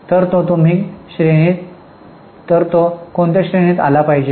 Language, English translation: Marathi, So, it should fall in which category